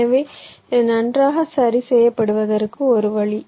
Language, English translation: Tamil, so this is one way to normalize it